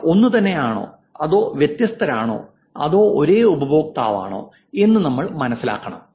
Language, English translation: Malayalam, Or if they are same or if they are different, are they the same user